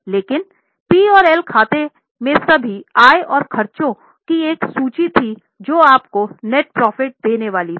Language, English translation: Hindi, But in P&L account there was a list of incomes lessed all the expenses giving you net profit